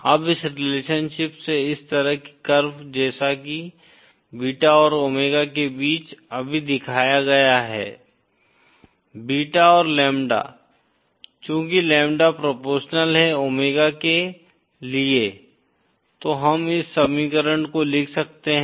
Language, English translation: Hindi, Now this kind of curve as from this relationship that is showed just now between beta and omega, beta and lambda since lambda is proportional to omega, we can write this equation